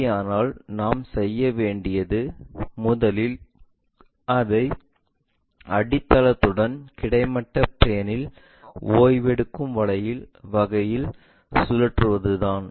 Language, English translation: Tamil, If that is the case what we have to do is first rotate it in such a way that is resting on horizontal plane with its base